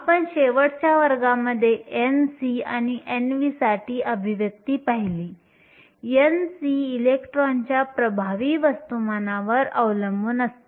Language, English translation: Marathi, We looked at the expression for n c and n v in last class, n c depends upon the effective mass of the electron